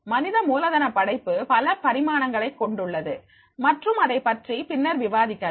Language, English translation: Tamil, Human capital creation also have the number of dimensions that we will discuss later on